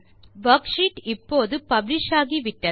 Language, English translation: Tamil, The worksheet is now published